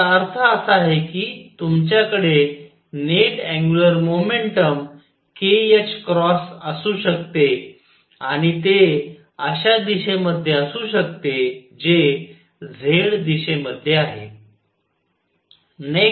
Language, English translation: Marathi, What that means, is that you could have a net angular momentum k h cross and it could be in a direction which is in the z direction